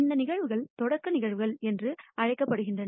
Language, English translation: Tamil, These events are known as elementary events